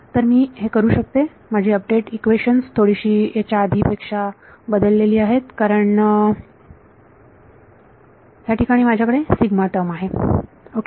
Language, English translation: Marathi, So, I can do, my update equations are slightly modified from before this because I have a sigma term has come over ok